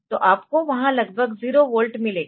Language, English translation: Hindi, So, you will get almost 0 volt there